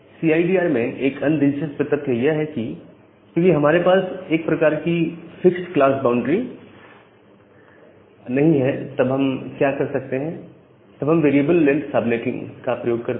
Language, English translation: Hindi, There is another interesting fact in CIDR, because we do not have this kind of fixed class boundary, what we can do that we can use what we say as the variable length subnetting